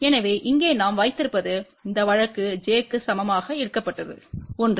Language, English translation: Tamil, So, what we have here this case was taken for j equal to 1